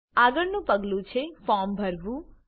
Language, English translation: Gujarati, Next step is to fill the form